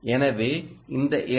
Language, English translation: Tamil, so this is i